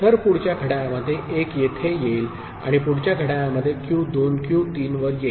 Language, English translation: Marathi, So, 1 comes here in the next clock and Q2 comes to Q3, in the next clock